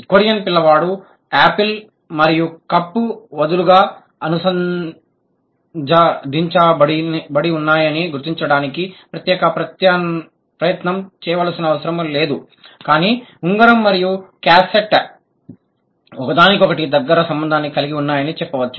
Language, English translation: Telugu, A Korean child would not have to give special effort to identify that an apple and a cup, they are loosely connected, but a ring and, let's say, a cassette, they are close fit with each other